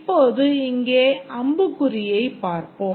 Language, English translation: Tamil, Now let's look at the arrow here